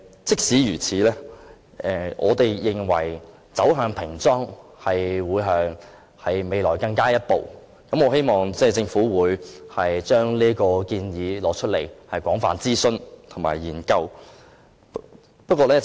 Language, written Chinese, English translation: Cantonese, 儘管如此，我們認為平裝是未來要走的下一步，我希望政府會就這此作廣泛諮詢及研究。, That said we consider plain packaging to be the next step to be taken in the future . I hope the Government can conduct extensive consultations and studies on it